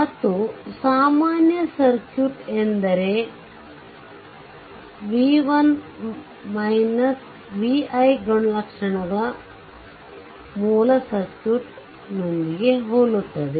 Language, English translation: Kannada, And equivalent circuit is one whose v i characteristic are identical with the original circuit